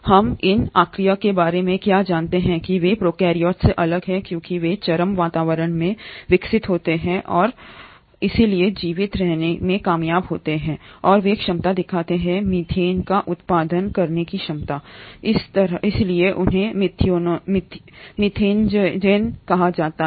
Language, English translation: Hindi, What we know about these Archaea is that they are different from prokaryotes because they grow in extreme environments and hence have managed to survive and they show abilities like ability to produce methane, hence they are called as methanogens